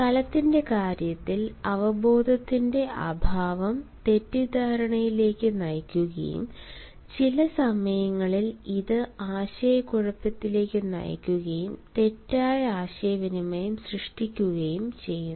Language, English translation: Malayalam, lack of awareness in terms of space leads to misconception and at times it also leads to confusion and creates miscommunication